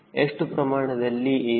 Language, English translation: Kannada, how do i locate a